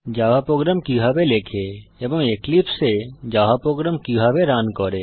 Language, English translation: Bengali, How to Write a java source code and how to run a java program in Eclipse